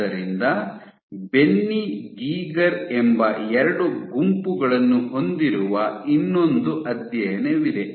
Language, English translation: Kannada, So, one other study you have two groups Benny Geiger